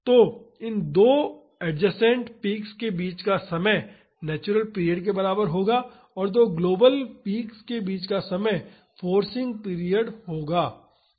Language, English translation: Hindi, So, the time between these two adjacent peaks will be equal to the natural period and the time between two global peaks would be the forcing period